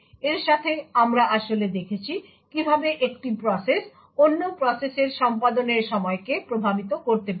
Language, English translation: Bengali, With this we have actually seen how one process could influence the execution time of other process